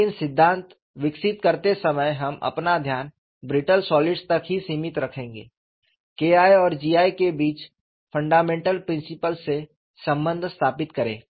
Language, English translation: Hindi, But while developing the theory, we would confine our attention to brittle solids; establish the relationship between K 1 and G 1 from fundamental principles